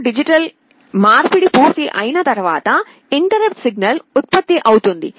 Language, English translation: Telugu, After A/D conversion is completed an interrupt signal is generated